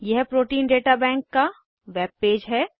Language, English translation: Hindi, This is the web page of Protein Data Bank